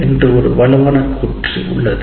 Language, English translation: Tamil, It's a strong statement